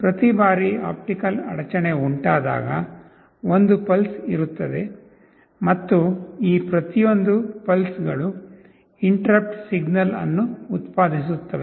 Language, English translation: Kannada, Every time there is an optical interruption, there will be a pulse and each of these pulses will be generating an interrupt signal